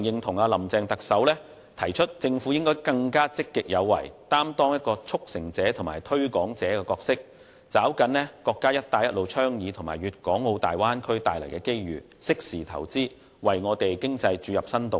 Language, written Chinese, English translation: Cantonese, 我非常認同特首"林鄭"提出政府應更積極有為，擔當"促成者"和"推廣者"的角色，抓緊國家倡議"一帶一路"和"粵港澳大灣區"帶來的機遇，適時投資，為香港經濟注入新動力。, I strongly agree with Chief Executive Carrie LAMs suggestion that the Government should be more proactive play the role of a facilitator and a promoter seize the opportunities brought by the national Belt and Road Initiative and the Bay Area development as well as make timely investments in order to create new impetus for the economy of Hong Kong